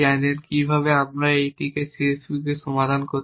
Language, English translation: Bengali, How can we solve a C S P